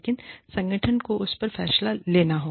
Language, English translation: Hindi, But, the organization has to take a decision, on that